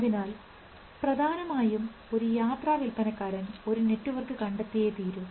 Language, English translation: Malayalam, So, essentially a traveling salesman can find out a network which